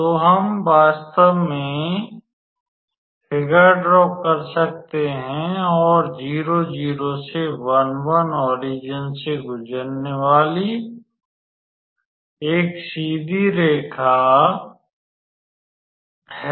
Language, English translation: Hindi, So, we can actually draw the figure and the line from 0 0 to 1 1 is a straight line passing through the origin